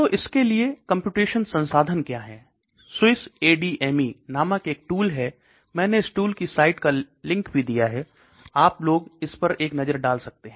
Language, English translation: Hindi, So what are the computational resources for this, there is something called SWISS ADME I have given this site address also, so you people can have a look at it